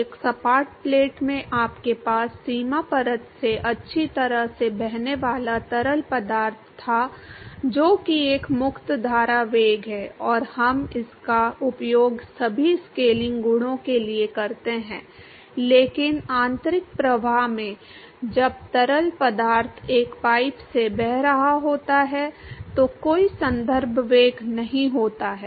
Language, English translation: Hindi, In a flat plate you had whatever fluid flowing well past the boundary layer which that is a free stream velocity and we use that for all scaling properties, but in an internal flow when fluid is flowing through a pipe there is no reference velocity